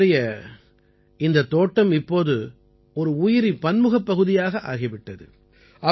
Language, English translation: Tamil, His garden has now become a Biodiversity Zone